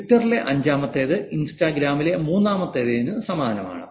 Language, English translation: Malayalam, Fifth in Twitter is very similar to the third in Instagram